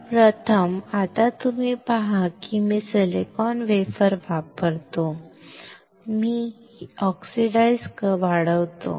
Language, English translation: Marathi, So first is, now you see if I use a silicon wafer then I grow oxide